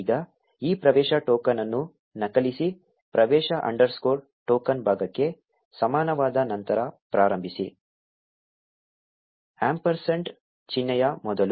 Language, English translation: Kannada, Now copy this access token, starting after the access underscore token is equal to part, until just before the ampersand sign